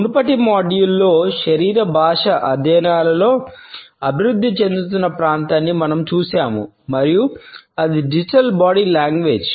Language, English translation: Telugu, In the previous module, we had looked at an emerging area in the studies of Body Language and that was the Digital Body Language